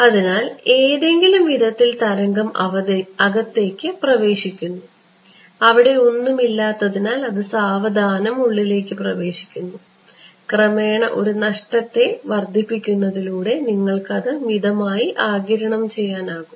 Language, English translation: Malayalam, So, the wave in some sense enters inside because there is it seems that there is nothing its slowly enters inside and by gradually increasing a loss factor you are able to gently absorb it ok